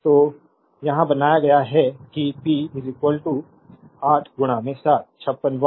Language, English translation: Hindi, So, it is made here that p 3 is equal to 8 into 7, 56 watt right